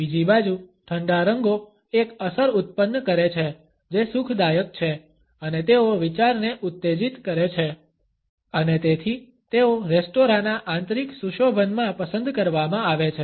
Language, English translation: Gujarati, On the other hand, cool colors produce an effect which is soothing and they stimulate thinking and therefore, they are preferred in the interior decoration of restaurants